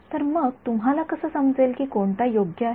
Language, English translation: Marathi, So, how do you know which one is the correct one